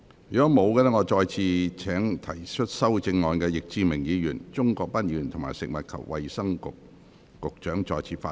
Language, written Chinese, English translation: Cantonese, 如果沒有，我現在請提出修正案的易志明議員、鍾國斌議員及食物及衞生局局長再次發言。, If not I now call upon Mr Frankie YICK Mr CHUNG Kwok - pan and the Secretary for Food and Health who have proposed amendments to speak again